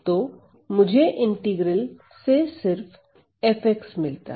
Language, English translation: Hindi, So, all I get is that this integral is f of x